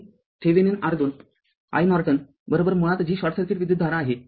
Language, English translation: Marathi, That Thevenin R Thevenin your i Norton is equal to basically it is short circuit current